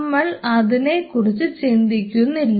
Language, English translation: Malayalam, So, we are not talking about it